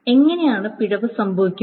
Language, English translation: Malayalam, So how can error happen